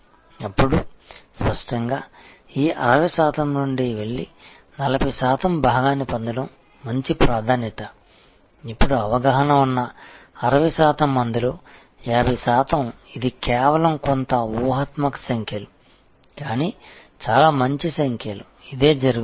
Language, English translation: Telugu, Then; obviously, to go from this 60 percent and acquire part of the 40 percent is a good priority, now of the 60 percent who were aware, 50 percent this is just some hypothetical numbers, but pretty good numbers, this is what happens